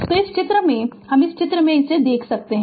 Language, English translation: Hindi, So, in figure this that your in this figure